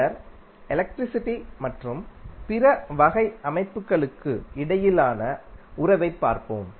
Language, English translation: Tamil, Then, we will see the relationship between electricity and the other type of systems